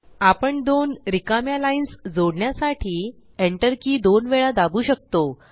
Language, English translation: Marathi, We can press the Enter key twice to add two blank lines